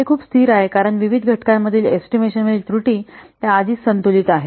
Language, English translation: Marathi, So different, it is very much stable because the estimation errors in the various components, they are already balanced